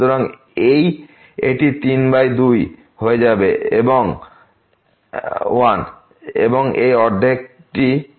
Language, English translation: Bengali, So, this will become 3 by 2; 1 and this half will make it 3 by 2